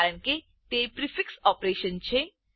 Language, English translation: Gujarati, As it is a prefix operation